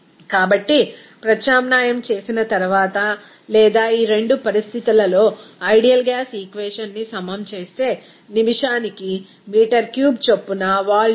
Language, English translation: Telugu, So, after substituting or equating that ideal gas equation at these two conditions, we can get that volume will be equal to 130